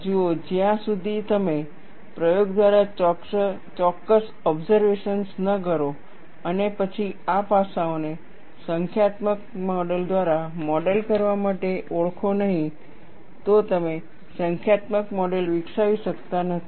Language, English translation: Gujarati, See, unless you make certain observations by experiment and then identify, these aspects have to be modeled by a numerical model; you cannot develop a numerical model